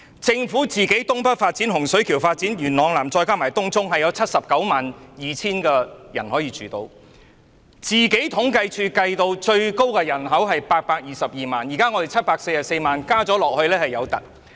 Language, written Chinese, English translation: Cantonese, 政府推動的東北發展、洪水橋發展和元朗南發展計劃，再加上東涌項目，預計可供792000人居住，而政府統計處預計的最高人口為822萬，比現有的744萬人口還要高。, It is estimated that the Governments development projects in the North East New Territories Hung Shui Kiu and Yuen Long South along with the Tung Chung project would be able to house 792 000 residents . Meanwhile the Census and Statistics Department has projected that the population of Hong Kong would peak at 8.22 million higher than the present size of 7.44 million